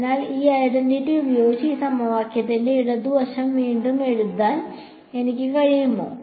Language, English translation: Malayalam, So, looking, using this identity, can I rewrite the left hand side of this equation